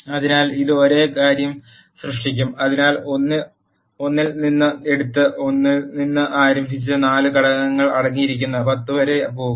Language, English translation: Malayalam, So, it will generate the same thing so it will take from one and start from 1 and and go up to 10 which contains 4 elements